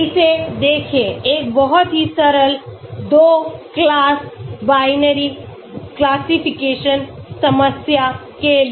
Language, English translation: Hindi, Look at this, for a very simple 2 class binary classification problem